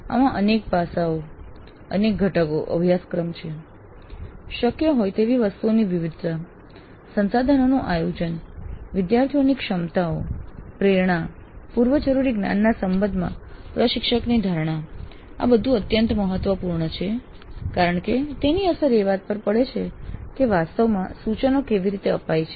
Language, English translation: Gujarati, So, this has several aspects, several components, celibus with a variety of items which are possible, then planning for resources, then instructors perception of students with regard to their abilities, motivation, prerequisite knowledge, these are all very important because that has a bearing on how actually the instruction takes place